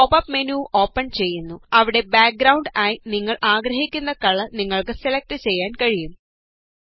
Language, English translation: Malayalam, A pop up menu opens up where you can select the color you want to apply as a background